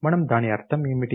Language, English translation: Telugu, What do we mean by that